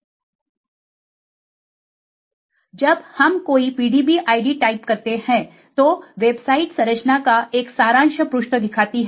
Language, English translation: Hindi, When we type any PDB id, the website gives a summary page view of the structure